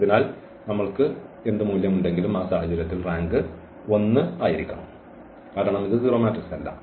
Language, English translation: Malayalam, So, whatever value we have, so the rank has to be 1 in the that case because it is not the 0 matrix